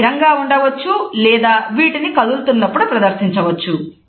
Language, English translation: Telugu, They can also be static or they can be made while in motion